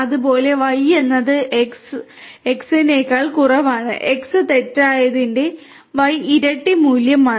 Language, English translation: Malayalam, Similarly X less than Y true, X double equal to Y false and so on